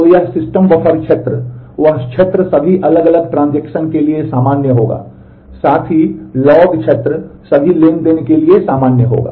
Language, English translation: Hindi, So, that system buffer area the that area would be common for all different transactions, also the log area would be common for all transactions